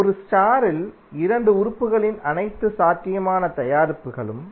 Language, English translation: Tamil, All possible products of 2 elements in a star